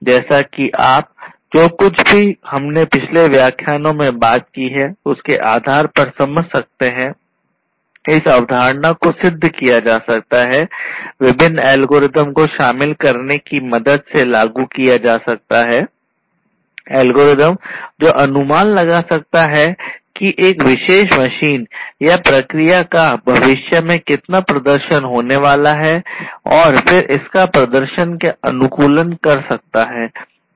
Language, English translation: Hindi, So, as you can understand, as you can realize based on whatever we have gone through in the previous lectures, this concept can be achieved it can be implemented with the help of incorporation of different algorithms; algorithms that can estimate how much the performance is going to be of a particular machine or a process in the future and then optimizing its performance